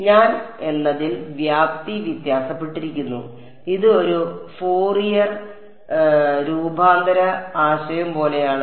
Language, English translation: Malayalam, Amplitude is varying that I am; it is like a like a Fourier transform idea